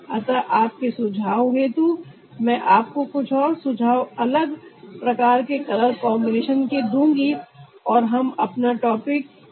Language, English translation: Hindi, so for your suggestion, we will give you some more suggestions of different kind of color combinations and will end our topic there